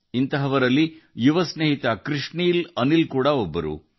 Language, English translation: Kannada, Such as young friend, Krishnil Anil ji